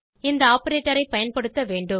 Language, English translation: Tamil, We must use this operator